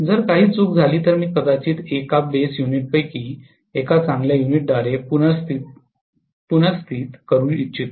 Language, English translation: Marathi, If something goes wrong I would like to replace maybe one of the single base units by a good unit